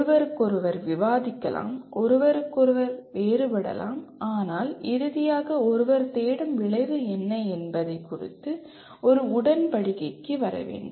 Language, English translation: Tamil, One can debate, differ from each other but finally come to an agreement on what exactly the outcome that one is looking for